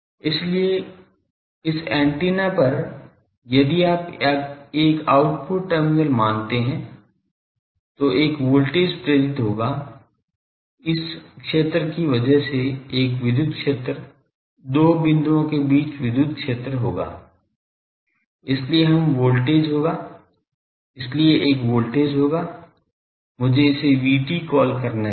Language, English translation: Hindi, So, at this antennas if you say a output terminal, there will be a voltage induced, because of this field there will be an electric field, electric field between two points, so there will be a voltage let me call is V T